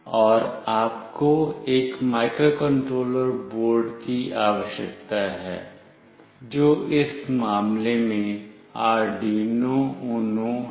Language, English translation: Hindi, And you need a microcontroller board, which in this case is Arduino Uno